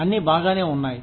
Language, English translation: Telugu, So, everybody is okay